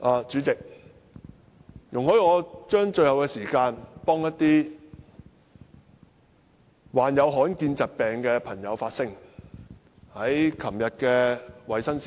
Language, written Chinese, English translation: Cantonese, 主席，容許我將最後的發言時間，替一些患有罕見疾病的朋友發聲。, President please allow me to speak for rare disease patients at the end of my speech